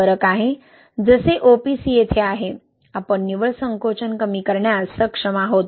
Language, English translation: Marathi, There is a difference, like OPC is here, we are able to reduce the net shrinkage